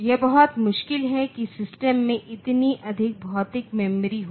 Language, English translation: Hindi, So, it is very much it difficult to have that much of physical memory in the system